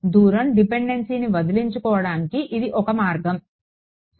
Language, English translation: Telugu, This is one way of getting rid of the distance dependence ok